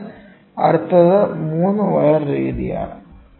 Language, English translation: Malayalam, So, next is 3 wire method